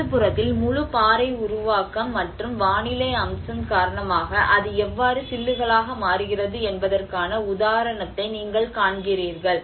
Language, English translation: Tamil, \ \ \ And on the left hand side, you see an example of how the whole rock formation and because of the weathering aspect how it chips down